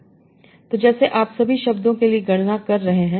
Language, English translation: Hindi, So like that you are computing for all the words